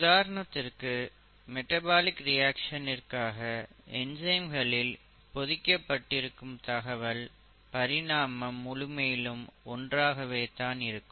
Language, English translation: Tamil, For example, the DNA which will code for enzymes, for basic metabolic reactions are highly similar across evolution